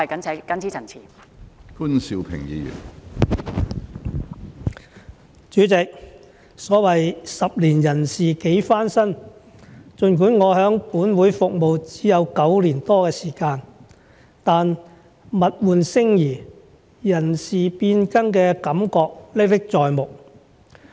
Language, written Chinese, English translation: Cantonese, 主席，所謂十年人事幾番新，儘管我在本會服務只有9年多的時間，但物換星移，人事變更的感覺歷歷在目。, President there can be great changes in a decade . Although I have only worked in this Council for nine years or so I still vividly remember the changes in people and society